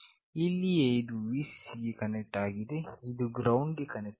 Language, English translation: Kannada, This is where it is connected to Vcc, this is connected to GND